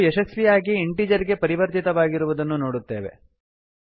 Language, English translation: Kannada, Save the file and run it we see that the value has been successfully converted to an integer